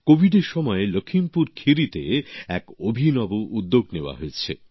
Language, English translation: Bengali, A unique initiative has taken place in LakhimpurKheri during the period of COVID itself